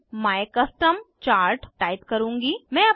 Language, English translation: Hindi, I will type my custom chart